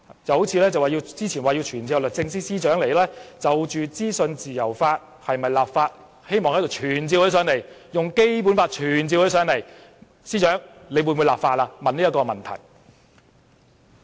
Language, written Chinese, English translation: Cantonese, 正如他們早前說是否要就資訊自由立法，希望引用《基本法》傳召律政司司長來立法會，問她的意見。, A case in point is that they said earlier that they wished to invoke the Basic Law to summon the Secretary for Justice to attend before the Council to give her opinion on the enactment of legislation on freedom of information